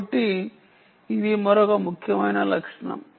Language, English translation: Telugu, ok, so that is another important feature